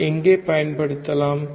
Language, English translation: Tamil, Where can it be used